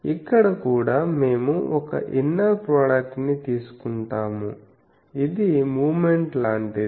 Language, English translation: Telugu, So, here also we take a inner product it is something like the moment